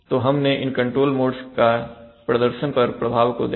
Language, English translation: Hindi, So some effects of these control modes on performance are discussed